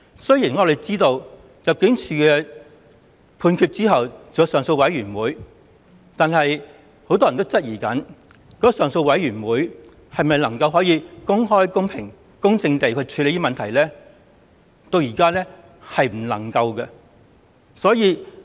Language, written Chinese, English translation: Cantonese, 雖然我們知道入境處作出判決後還有上訴委員會，但很多人也質疑上訴委員會能否公開、公平、公正地處理問題，至今仍無法令人信服。, We know that after ImmD has reached a decision on a torture claim the claimant can still go to the Torture Claims Appeal Board TCAB to appeal against the decision . But many people question whether TCAB can openly fairly and impartially consider the appeal cases and this remains unconvincing